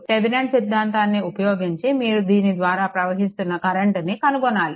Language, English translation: Telugu, Using Thevenin theorem, you have to find out the current through this